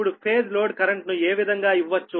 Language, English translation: Telugu, right now the phase load current can be given as i l is equal to v phase upon z l